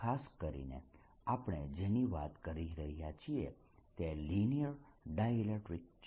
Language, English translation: Gujarati, what we are talking about are linear dielectrics